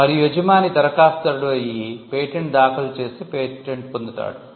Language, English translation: Telugu, And the employer becomes the applicant and files the patent and gets a grant